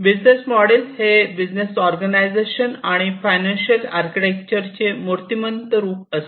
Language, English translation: Marathi, And it is basically this business model is an embodiment of the organizational and the financial architecture of a business